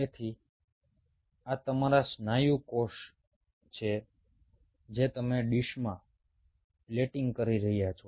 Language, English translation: Gujarati, so so these are your muscle cells you are plating in a dish